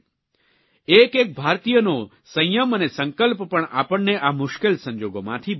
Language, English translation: Gujarati, The determination and restraint of each Indian will also aid in facing this crisis